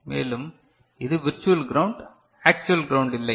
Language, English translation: Tamil, And, since is it is virtual ground, is not actual ground